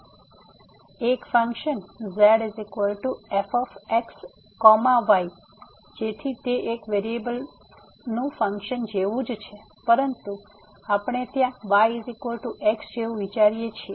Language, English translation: Gujarati, So, a function is equal to so its a similar to what we have the function of one variable, but there we consider like y is equal to function of x